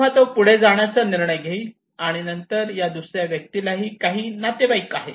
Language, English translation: Marathi, So he would proceed, go ahead with his decision then this second person he have some relatives